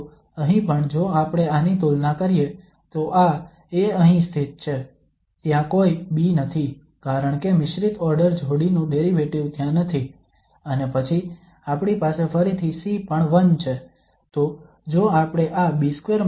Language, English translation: Gujarati, So here also if we compare this so this is the A sitting here, there is no B because the mixed order pairs derivative is not there and then we have again C is also 1